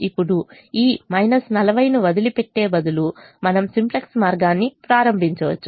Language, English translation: Telugu, now, instead of leaving this minus forty, we could have started the simplex way